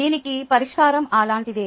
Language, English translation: Telugu, this is the solution